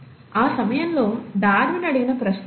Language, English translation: Telugu, These are the kind of questions that Darwin was asking at that point of time